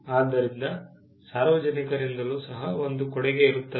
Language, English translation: Kannada, So, there is a contribution that comes from the public as well